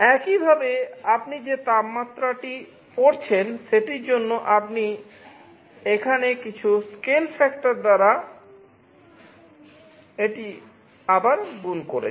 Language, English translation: Bengali, Similarly for the temperature you are reading the temperature, you are again multiplying it by some scale factor here